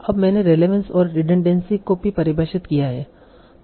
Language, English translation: Hindi, Now I also have defined their relevance and redundancy